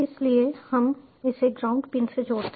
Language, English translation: Hindi, so we simply connect this to ground pin